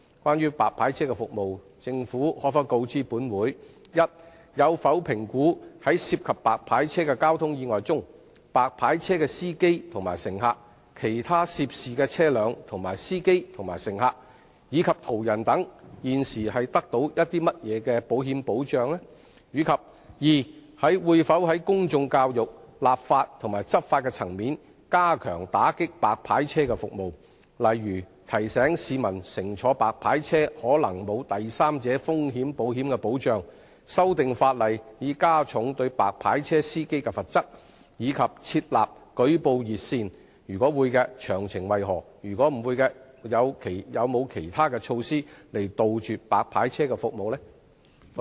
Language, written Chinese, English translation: Cantonese, 關於白牌車服務，政府可否告知本會：一有否評估在涉及白牌車的交通意外中，白牌車的司機和乘客、其他涉事車輛的司機和乘客，以及途人等現時受到甚麼保險保障；及二會否在公眾教育、立法及執法層面加強打擊白牌車服務，例如提醒市民乘坐白牌車可能沒有第三者風險保險保障、修訂法例以加重對白牌車司機的罰則，以及設立舉報熱線；如會，詳情為何；如否，有何其他措施杜絕白牌車服務？, Regarding white licence cars service will the Government inform this Council 1 whether it has assessed the insurance protection currently provided for the drivers and passengers of white licence cars the drivers and passengers of other vehicles the passers - by etc involved in traffic accidents involving white licence cars; and 2 whether it will step up from the public education legislation and law enforcement fronts its efforts in clamping down on white licence cars service such as reminding members of the public that they may not be protected by a third party risks insurance if they travel on white licence cars amending the legislation to raise the penalties on drivers of white licence cars as well as setting up a reporting hotline; if so of the details; if not what other measures are in place to eradicate white licence cars service?